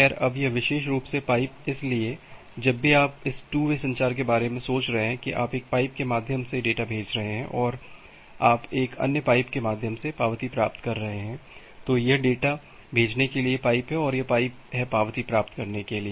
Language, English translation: Hindi, Well now this particular pipe, so whenever you are thinking about this two way communication, that you are sending data through one pipe and you are receiving acknowledgement through another pipe, well so this is the pipe for sending the data and this is the pipe for getting the acknowledgement